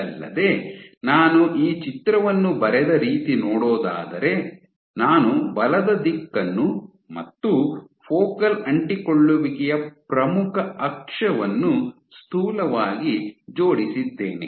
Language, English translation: Kannada, Moreover, the way I drew this picture I roughly aligned the direction of the force and the major axis of the focal adhesion